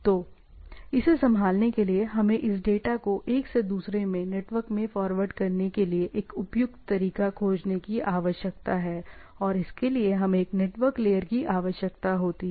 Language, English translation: Hindi, So, in order to handle this, so we need to find out a suitable way to forward this data from one to another, right and they are what we require a network layer